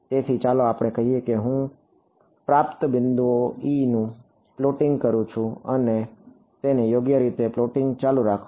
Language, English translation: Gujarati, So, let us say I am plotting E at received point keep plotting it right